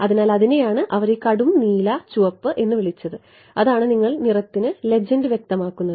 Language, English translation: Malayalam, So, that is what they called this dark blue red that is the you specify the legend for the colour